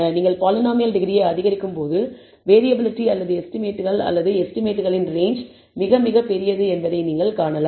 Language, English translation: Tamil, You can see that as you increase the degree of the polynomial, the variability or the estimates or the range of the estimates is very very large